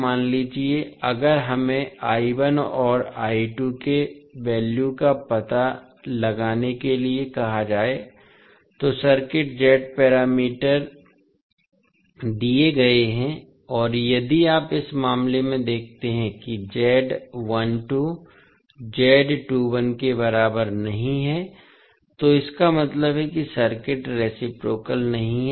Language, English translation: Hindi, Suppose, if we are asked to find out the value of I1 and I2, the circuit, the Z parameters are given Z11, Z12, Z21, Z22, if you see in this case Z12 is not equal to Z21, so that means the circuit is not reciprocal